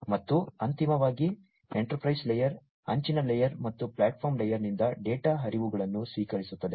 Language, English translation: Kannada, And finally, the enterprise layer concerns receiving data flows from the edge layer and the platform layer